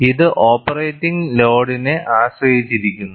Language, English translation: Malayalam, It depends on the operating load